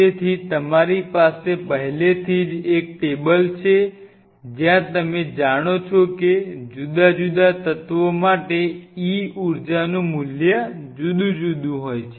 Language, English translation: Gujarati, So, you have already the table at your disposal where you know the basic table is the library of e values energy values for different elements